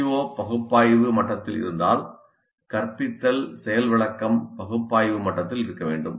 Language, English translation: Tamil, If the COE is at analyze level, the instruction, the demonstration must be at the analyzed level